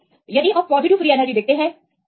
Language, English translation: Hindi, So, if you see the positive free energy